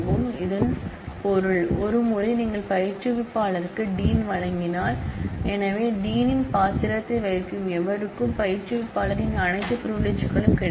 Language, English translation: Tamil, So, which means; that once you grant dean to instructor; so anybody who plays the dean’s role will get all privileges of instructor